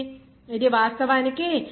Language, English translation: Telugu, This is actually 0